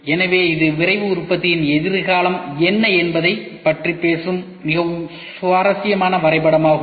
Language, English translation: Tamil, So, this is a very interesting graph which talks about what will be the future of Rapid Manufacturing